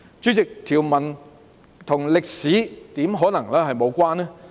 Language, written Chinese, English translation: Cantonese, 主席，條文怎可能與歷史無關？, Chairman how will the provisions possibly be irrelevant to history?